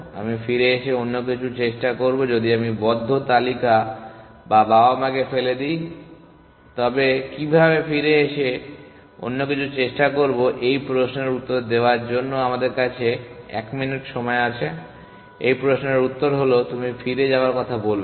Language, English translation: Bengali, I will come back and try something else trouble is if I throw away the close list or the parents, how can I come back and try something else we have 1 minute to answer this question the answer is that you do not talk of going back